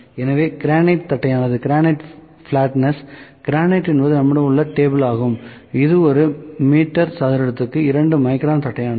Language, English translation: Tamil, So, granite flatness granite is the what table that we have it is the flatness it is the 0 grade granite so, the 2 micron per meter square is the flatness